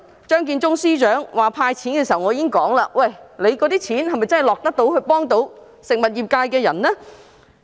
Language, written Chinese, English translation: Cantonese, 張建宗司長公布第一輪"派錢"計劃時，我已經說，那些錢是否真的能夠幫助食物業界別的人呢？, When Chief Secretary for Administration Matthew CHEUNG announced the subsidy scheme in the first round I already questioned whether the money could genuinely help people engaged in the food business